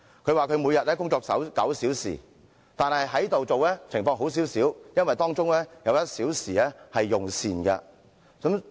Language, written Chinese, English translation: Cantonese, 她說每天工作9小時，但在立法會工作的情況較好，因為可享有1小時用膳時間。, As she told me she works nine hours every day . But working in the Legislative Council is already somewhat better because she can enjoy a meal break of one hour